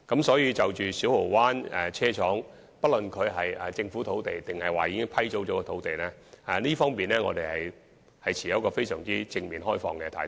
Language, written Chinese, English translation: Cantonese, 所以，就着小蠔灣車廠用地，不論是政府土地或已批租土地，我們均持有非常正面和開放的態度。, Therefore when it comes to the Siu Ho Wan Depot Site be it government land or leased land our attitude is very positive and open